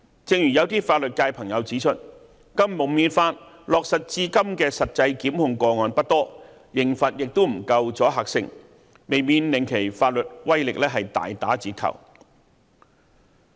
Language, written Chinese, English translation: Cantonese, 正如有些法律界朋友指出，《禁蒙面法》落實至今的實際檢控個案不多，刑罰亦不夠阻嚇性，未免令其法律威力大打折扣。, As friends from the legal sector have pointed out there have been very few prosecutions instituted under the anti - mask law and the penalties have not carried much deterrent effect resulting in a weakening of its legal effectiveness